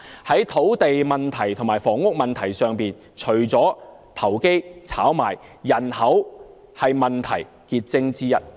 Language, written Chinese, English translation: Cantonese, 在土地問題和房屋問題上，除了投機炒賣問題外，人口也是問題癥結之一。, As far as land and housing problems are concerned apart from speculation activities population is also the crux of the problem